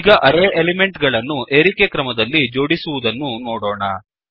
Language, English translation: Kannada, Now, let us look at sorting the elements of the array